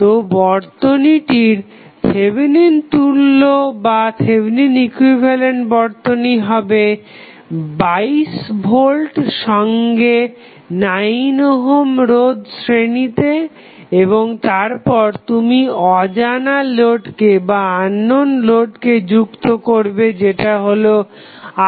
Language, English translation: Bengali, So, your equivalent, Thevenin equivalent of the circuit would be the 22 volt in series with 9 ohm resistance and then you have connected and unknown the load that is Rl